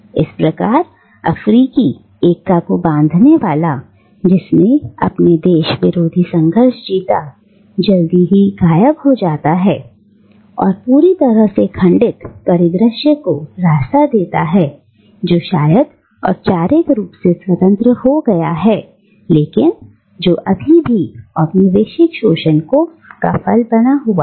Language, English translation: Hindi, Thus, the bulwark of African unity, which won the anti colonial struggle, soon disappears and it gives way to a thoroughly fragmented landscape which might have become formally independent but which still remains a site of neo colonial exploitation